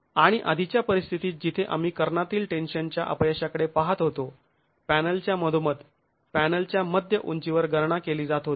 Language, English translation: Marathi, And in the earlier situation where you are looking at the diagonal tension failure, the calculations were being carried out at the mid height of the panel, in the middle of the panel